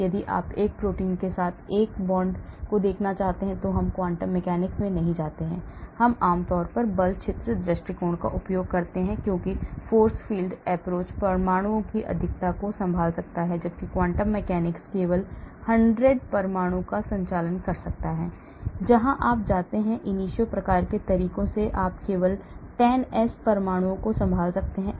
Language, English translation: Hindi, whereas if you want to look at a ligand binding to a protein we do not go into quantum mechanics we generally use force field approach because force field approach can handle 1000s of atoms whereas quantum mechanics can handle only 100s of atom where as if you go to ab initio type of methods you can handle only 10s of atoms